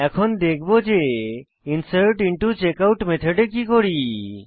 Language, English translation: Bengali, We will see what we do in insertIntoCheckout method